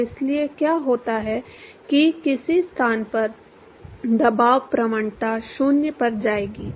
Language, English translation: Hindi, So, let us say at some location the pressure gradient will go to 0